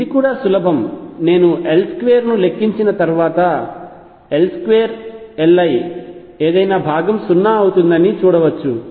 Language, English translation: Telugu, It is also easy to show after I calculate L square that L square L i any component would be 0